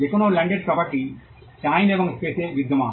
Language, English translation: Bengali, Any landed property exists in time and space